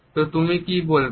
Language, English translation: Bengali, So, what do you say